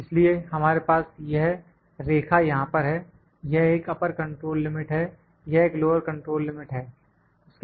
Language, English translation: Hindi, So, we have this line here this which is an upper control limit, this is a lower control limit